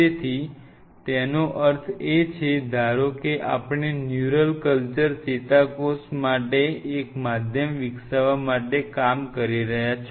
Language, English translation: Gujarati, So, that means suppose you are working on developing a medium for neural culture neurons right